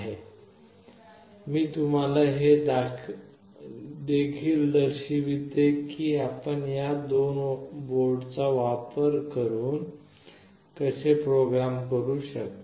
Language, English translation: Marathi, And I will also show you how you can program using these two boards specifically